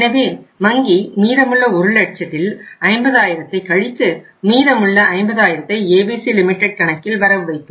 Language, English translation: Tamil, So bank will deduct 50,000 out of the remaining 1 lakh and remaining 50,000 will be credited into the account of ABC Limited